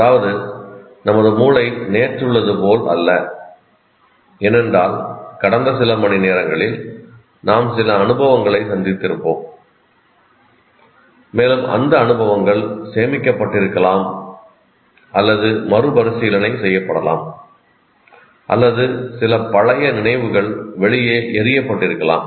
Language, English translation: Tamil, That means, our brain is not the same of what it was yesterday because from in this past few hours we would have gone through some experiences and those experiences would have been stored or reinterpreted thrown out or some old memories might have been thrown out